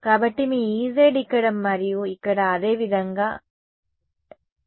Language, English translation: Telugu, So, your E z is appearing here and here similarly here and here ok